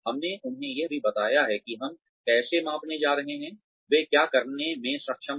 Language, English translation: Hindi, We have also told them, how we are going to measure, what they have been able to do